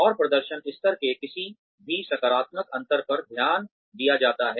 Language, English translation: Hindi, And, any positive difference in the performance level, is taken note of